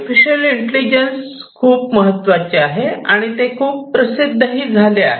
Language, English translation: Marathi, So, artificial intelligence is very important, it has become very popular